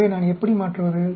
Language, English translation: Tamil, So how do I change